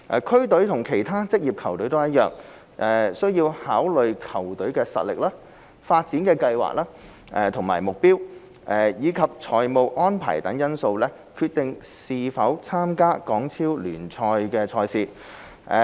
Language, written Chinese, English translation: Cantonese, 區隊與其他職業球隊一樣，需考慮球隊實力、發展計劃和目標，以及財務安排等因素決定是否參加港超聯賽事。, Just like any other professional team district teams have to take into account various factors such as their level of competitiveness development plans and aims as well as financial arrangements in deciding whether to compete in HKPL